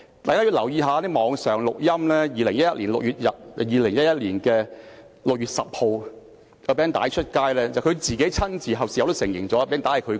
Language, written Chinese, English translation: Cantonese, 大家如果留意一些網上錄音，會發現在2011年6月10日，有一段錄音被公開，而他事後也親自承認那是他說的。, Even he himself has conceded this point . If Members have paid attention to online audio recordings they would have found that one audio clip was made public on 10 June 2011 and Dr CHENG conceded later that he was the speaker